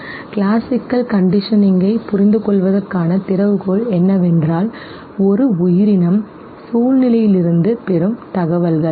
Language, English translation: Tamil, It says that the key to understanding classical conditioning is that the information an organism gets from the situation okay